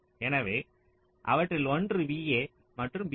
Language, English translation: Tamil, so lets say one of them is v a and v b